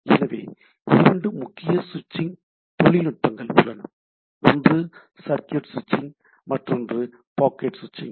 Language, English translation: Tamil, So, two predominant switching technologies are there: circuit switching, one is packet switching, right